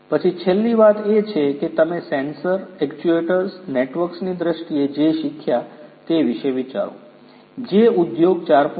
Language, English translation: Gujarati, Then the last thing is think about whatever you have learnt in terms of the sensors, the actuators, the networks that is the beauty about industry 4